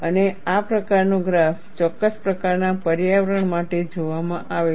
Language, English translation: Gujarati, And this kind of a graph, is seen for a particular kind of environment